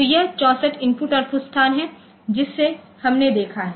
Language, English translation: Hindi, So, it is the it is a 64 IO locations that we have seen